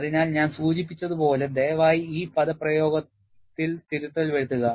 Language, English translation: Malayalam, So, as I mentioned, please make the correction in this expression